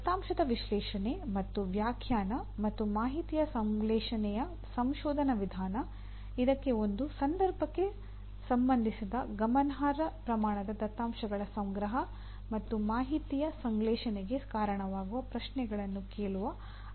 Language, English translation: Kannada, The research method of analysis and interpretation of data and synthesis of information that requires a collection of significant amount of data related to a context and posing questions that can lead to synthesis of information